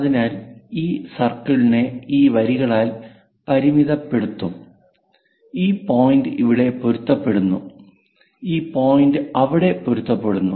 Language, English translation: Malayalam, So, this circle will be bounded by these lines and this point matches there and this point matches there; this is on the top side, this is on the bottom side